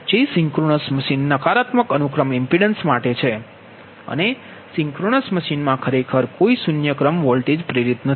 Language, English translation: Gujarati, that is, per synchronization, negative sequence impedance and in a synchronous machine actually no zero sequence voltage is induced